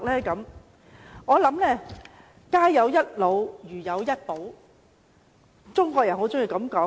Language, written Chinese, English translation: Cantonese, 中國人常說，家有一老，如有一寶。, As a Chinese common saying goes elderly persons are the treasure of a family